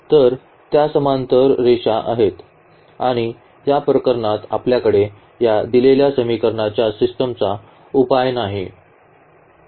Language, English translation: Marathi, So, they are the parallel lines and in this case we do not have a solution of this given system of equations